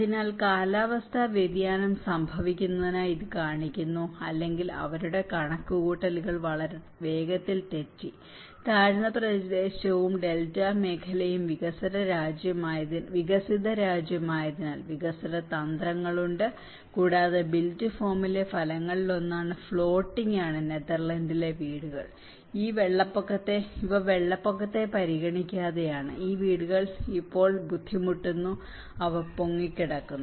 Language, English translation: Malayalam, So, this shows that climate change is happening and the; or their calculations went wrong in very fast and the amount of effort they are also making the because being a low lying area and the Delta region and being a developed country, there are developing strategies and one of the outcome on the built form is the floating houses in Netherlands, these are like a irrespect of the flood, these houses they still strain and they can float